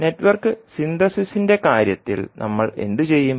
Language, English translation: Malayalam, So in case of Network Synthesis what we will do